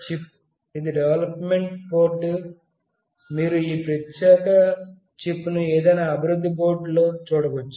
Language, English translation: Telugu, This is a development board, you can see this particular chip in any development board